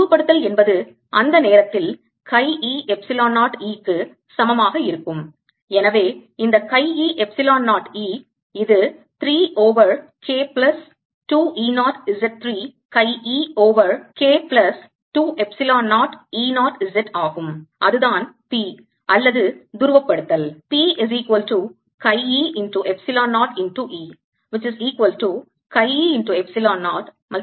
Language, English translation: Tamil, polarization will be equal to chi e epsilon zero e at that point and therefore this is going to be chi e epsilon zero e, which is three over k plus two e zero, z